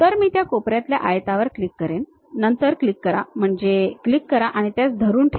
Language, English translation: Marathi, So, what I will do is click corner rectangle, then click means click, hold it